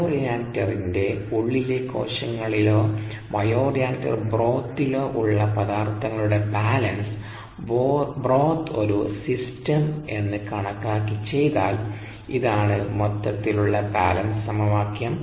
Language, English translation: Malayalam, if we do a material balance on cells with the bioreactor contents or the bioreactor broth as a system, this is the overall balance equation